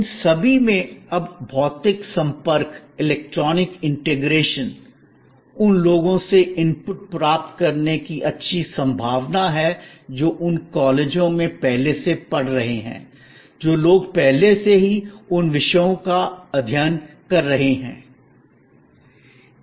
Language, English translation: Hindi, All these now have physical interactions, electronic interactions, good possibility of getting inputs from people who are already studying in those colleges, people who are already studying those subjects